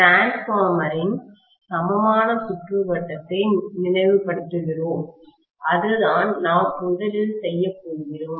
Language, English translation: Tamil, So, today’s class, recalling equivalent circuit of the transformer that is the first thing we are going to do